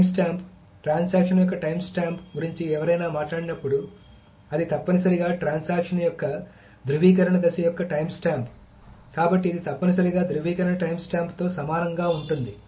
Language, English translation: Telugu, So, the timestamp, when somebody talks about the timestamp of the transaction, that is essentially the timestamp of the validation phase of the transaction, so which is essentially equal to the validation timestamp